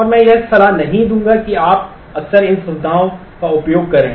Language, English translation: Hindi, And I would not recommend that you frequently use these features